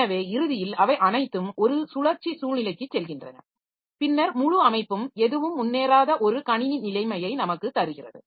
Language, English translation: Tamil, So, ultimately all the processes they go into a cyclic situation and then we have got a system situation where the entire system in the entire system nothing is progressing